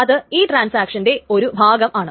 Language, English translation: Malayalam, That is part of this transaction